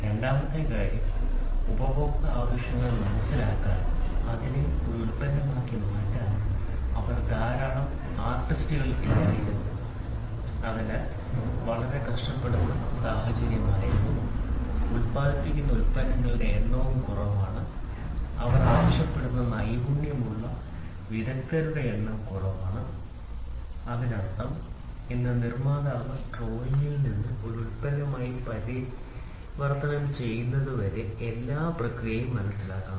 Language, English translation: Malayalam, And second thing is they were not many artists who were available to understand customer needs and convert it into a product, so there was a very tight situation where in which the number of products produced were less, the number of artesian available was less and the skill what they were requiring; that means, today the manufacturer should understand right from drawing, he has to understand all the process till he gets converted into a product